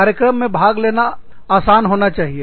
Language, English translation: Hindi, So, they should be, easy to participate in